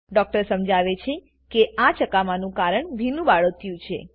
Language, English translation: Gujarati, The doctor explains that the rashes are because of the wet diaper